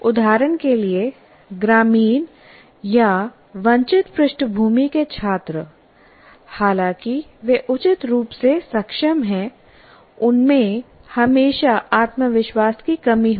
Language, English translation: Hindi, For example, students from rural or disadvantaged backgrounds, though they are reasonably competent, will always have a question of lack of confidence